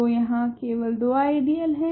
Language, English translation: Hindi, So, there are only two ideals here